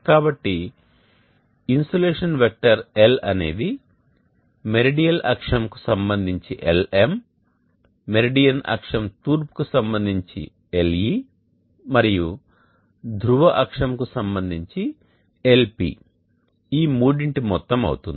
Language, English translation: Telugu, And L the insulation vector is the vectorial sum of Lm along the meridional axis, Le along the east of the meridian axis plus Lp along the polar axis